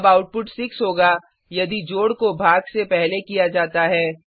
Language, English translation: Hindi, Or it would be 10 if division is done before addition